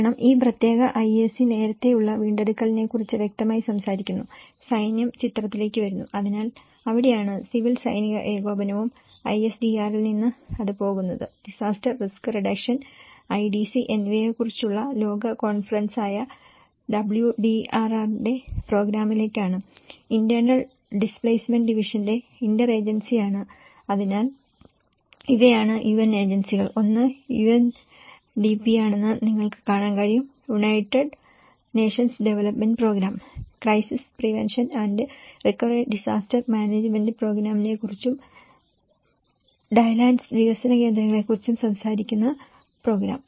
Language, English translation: Malayalam, Because this particular IAC, which is talking about the early recovery obviously, military comes into the picture, so that is where the civil military coordination is there and from the ISDR, it goes to the; conducts the program of WCDR which is the world conference on disaster risk reduction and the IDD; interagency of internal displacement division so, these are the UN agencies which you can see that the one is UNDP; United Nations Development Program which talks about the crisis prevention and recovery disaster management program and drylands development centre